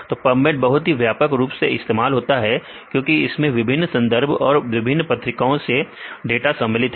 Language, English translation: Hindi, So, PUBMED is very widely used because it includes data from various literature for, various journals, they cover various journals and wide variety